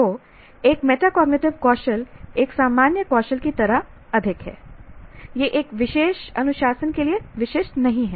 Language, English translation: Hindi, So a metacognitive skill is a more like a generic skill that it is not specific to a particular discipline